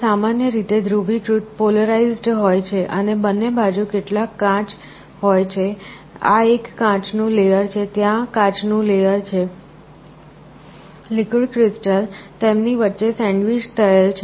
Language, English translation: Gujarati, It is typically polarized and there are some glasses on both sides, this is a glass layer, there is a glass layer, the liquid crystal is sandwiched between them